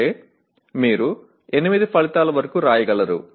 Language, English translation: Telugu, That means you can write up to 8 outcomes